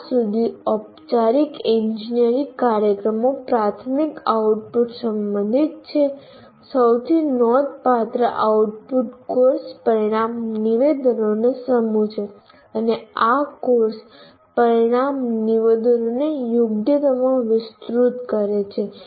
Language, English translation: Gujarati, As far as engineering courses, formal engineering programs are concerned, the primary output, the most significant output is the set of course outcome statements and elaborating this course outcome statements into competencies